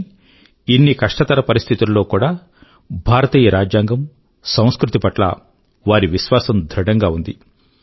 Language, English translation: Telugu, Despite that, their unwavering belief in the Indian Constitution and culture continued